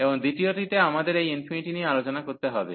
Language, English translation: Bengali, And the second one, we have this infinity this we have to to discuss